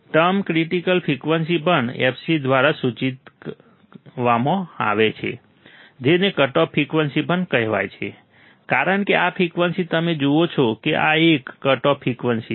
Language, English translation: Gujarati, Term critical frequency also denoted by fc also called cut off frequency because this frequency, you see this one is the cut off frequency